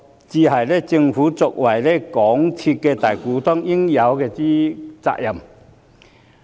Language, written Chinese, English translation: Cantonese, 這才是政府作為港鐵公司大股東應有的責任。, These are the responsibilities that the Government must discharge as the majority shareholder of MTRCL